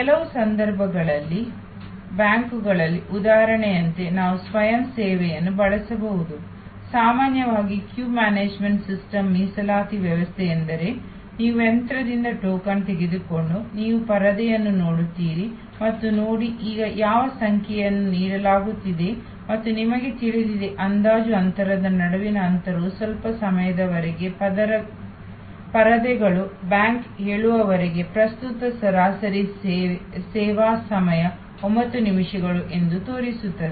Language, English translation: Kannada, In some cases, we can use self services like the example in the banks often the queue managements system the reservations system is that you take a token from the machine and you look at the screen and see, which number is now getting served and you know the gap between estimated gap some time the screens will show that current average service time per bank teller is 9 minutes